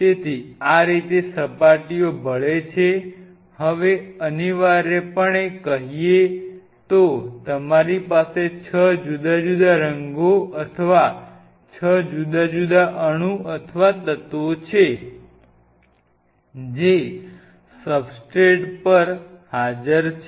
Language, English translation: Gujarati, So, this is how the surfaces mix up, now essentially speaking you have 6 different colours or 6 different atoms or elements which are present on the substrate